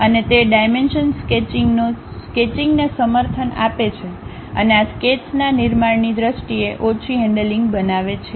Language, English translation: Gujarati, And also, it supports dimensional sketching and creates less handling in terms of constructing these sketches